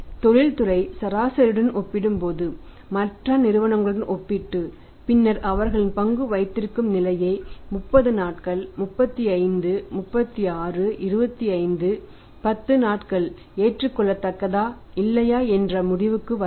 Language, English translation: Tamil, So, compare it with the other firms compared with the industry average and then draw a conclusion that their days of stock holding weather 30 days 35, 36, 5, 10 days is acceptable or not